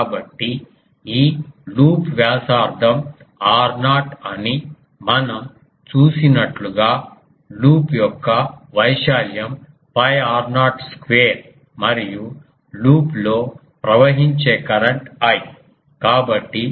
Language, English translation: Telugu, So, as we have seen that this loop radius is r naught and so, the area of the loop is pi r naught square and a current I is flowing in the loop